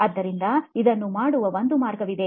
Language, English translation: Kannada, So this is one way of doing it